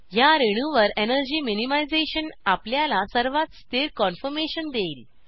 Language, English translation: Marathi, Energy minimization on this molecule will give us the most stable conformation